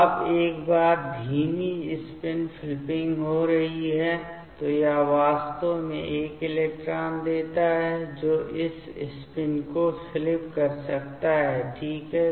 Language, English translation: Hindi, Now, once the slow spin flipping is happening, then it actually gives this electron that can give this spin flipping ok